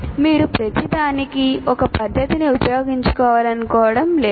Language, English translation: Telugu, You do not want to use one method for everything